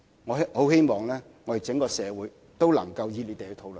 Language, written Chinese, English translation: Cantonese, 我很希望整個社會都能熱烈討論。, I really hope that the general public will enthusiastically participate in the discussion